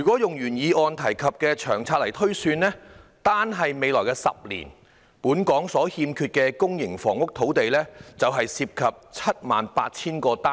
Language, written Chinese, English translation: Cantonese, 按原議案提及的《長遠房屋策略》推算，單是未來10年，本港所欠缺的公營房屋土地便涉及 78,000 個單位。, According to the projection in the Long Term Housing Strategy mentioned in the original motion the shortage of land for public housing in Hong Kong in the next decade alone will involve 78 000 units